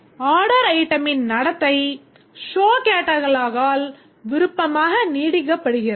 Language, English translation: Tamil, So, the behavior of the order item is optionally extended by the show catalog